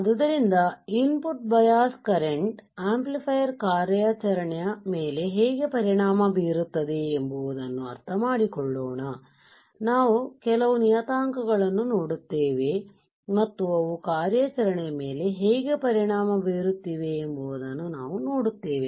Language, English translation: Kannada, So, let us understand how the input bias currents affect the amplifier operation, we will see few of the parameters and we will see how they are affecting the operation ok